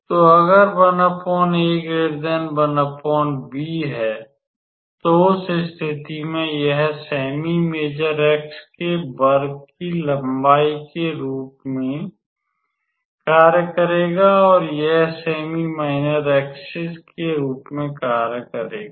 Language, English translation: Hindi, So, this will basically be our how to say square of the length of the semi major axis and square of the length of the semi minor axis